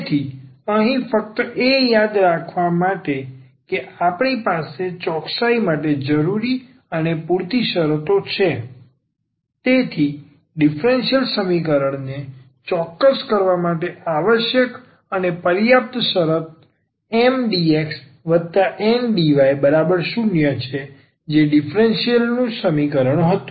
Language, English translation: Gujarati, So, here just to recall that we have the necessary and sufficient conditions for the exactness, so, the necessary and sufficient condition for the differential equation to be exact is Mdx plus Ndy is equal to 0 that was the differential equation